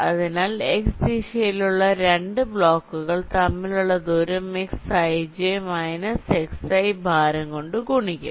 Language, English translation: Malayalam, so distance between the two blocks in the x direction will be xj minus xi multiplied by way weight